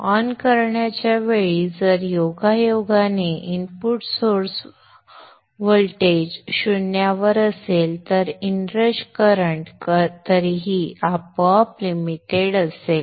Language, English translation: Marathi, If by chance that at the point in time of turn on the input source voltage is at zero then the inrush current is anyway automatically limited